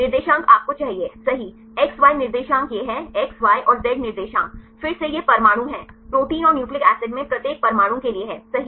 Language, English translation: Hindi, Coordinates right you need the X Y Z coordinates this is the X, Y and Z coordinates again this is atom right for I each atoms in the proteins or the nucleic acids